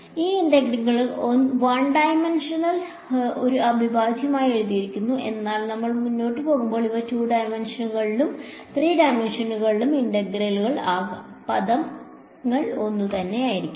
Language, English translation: Malayalam, These integrals have been written as an integral in 1 dimension, but as we go further these can be integrals in 2 dimensions, 3 dimensions; the terminology will be the same